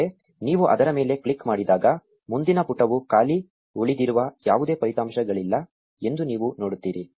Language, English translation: Kannada, But when you click on it you see that there are no more results left the next page is blank